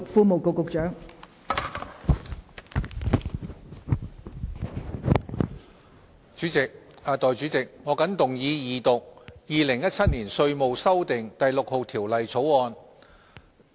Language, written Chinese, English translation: Cantonese, 代理主席，我謹動議二讀《2017年稅務條例草案》。, Deputy President I move the Second Reading of the Inland Revenue Amendment No . 6 Bill 2017 the Bill